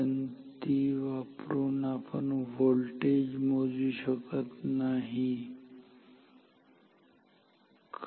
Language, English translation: Marathi, But can we not measure voltage with them